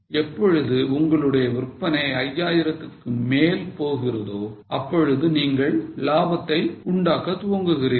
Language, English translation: Tamil, When your sales go above 5,000 you will start making profit